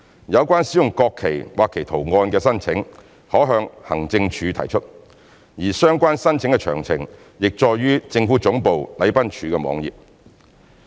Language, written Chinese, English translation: Cantonese, 有關使用國旗或其圖案的申請，可向行政署提出，而相關申請的詳情已載於政府總部禮賓處網頁。, Application for use of the national flag and its designs should be addressed to the Administration Wing . Relevant application details are available at the website of the Protocol Division Government Secretariat